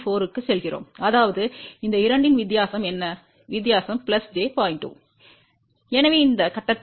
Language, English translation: Tamil, 4 so; that means, what is the difference of these two, the difference is plus j 0